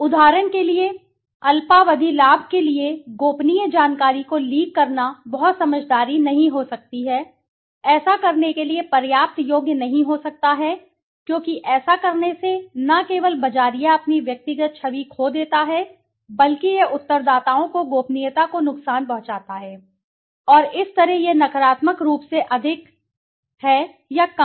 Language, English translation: Hindi, For example, leaking the confidential information for a short term gain might not be very wise, might not be worthy enough to do because by doing this not only the marketer loses its own personal image but it harms the respondents confidentiality and thus it affects negatively more or less